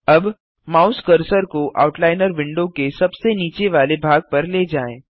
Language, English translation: Hindi, Now, move the mouse cursor to the bottom edge of the Outliner window